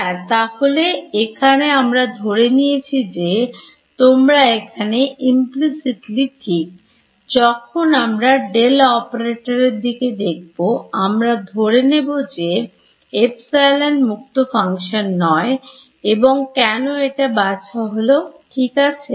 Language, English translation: Bengali, Yes over here if I when I did this over here, I assume that you are right its over here implicitly when I took this the del operator I made the assumption that epsilon is a not a function of space and why is this sort of ok